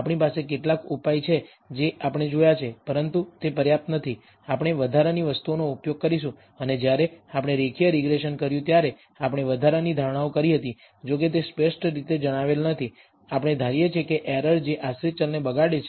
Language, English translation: Gujarati, We have some measures we have seen, but they are not adequate, we will use additional things, and when we did the linear regression, we did make additional assumptions although they were not been stated explicitly, we assume that the errors that corrupt the dependent variables are normally distributed and they have identical variance